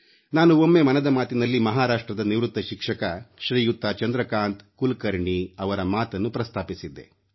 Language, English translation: Kannada, Once, in Mann Ki Baat, I had mentioned about a retired teacher from Maharashtra Shriman Chandrakant Kulkarni who donated 51 post dated cheques of Rs